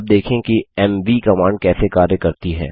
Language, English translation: Hindi, Now let us see how the mv command works